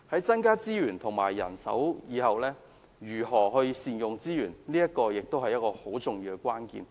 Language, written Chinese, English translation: Cantonese, 增加資源及人手之後，如何善用資源亦是很重要的關鍵。, After increasing the resources and manpower another critical move is to ensure the efficient use of resources